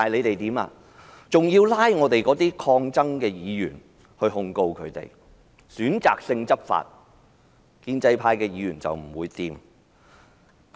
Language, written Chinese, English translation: Cantonese, 就是要拘捕及控告抗爭的議員，而且選擇性執法——建制派議員不會有事。, They just arrested and prosecuted Members engaging in resistance and selectively enforce the law―Members from the pro - establishment camp would not be touched